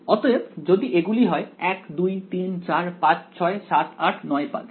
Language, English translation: Bengali, So, if this is pulse 1 2 3 4 5 6 7 8 9